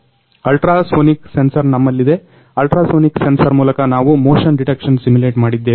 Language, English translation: Kannada, Now, we have ultrasonic sensor; through ultrasonic sensor we have simulated motion detection